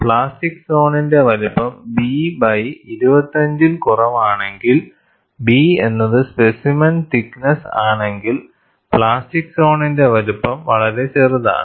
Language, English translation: Malayalam, If the size of the plastic zone is less than B by 25, where B is the thickness of the specimen, the plastic zone size is very small